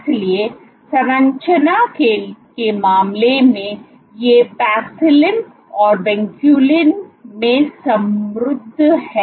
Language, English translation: Hindi, So, in terms of composition these are enriched in Paxillin and Vinculin